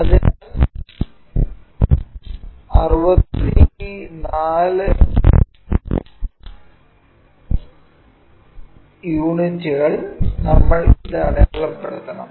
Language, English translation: Malayalam, So, 64 units we have to mark it